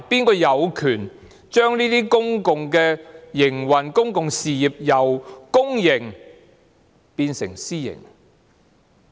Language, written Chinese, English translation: Cantonese, 誰有權將這些公用事業的營運模式，由公營變成私營？, Who has the right to turn the operation mode of such public utilities from public to private?